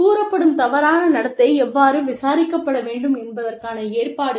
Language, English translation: Tamil, Provisions for, how the alleged misconduct, should be investigated